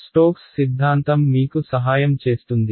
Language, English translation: Telugu, Stokes theorem is what is going to help us right